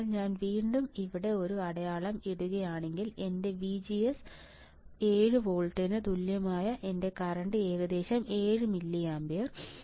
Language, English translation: Malayalam, So, will I again put a mark here then my VGS equals to 7 moles my current is about 7 milliampere